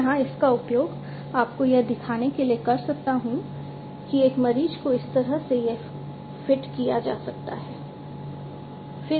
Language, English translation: Hindi, I could use it to show you that, a patient could be fitted with it like this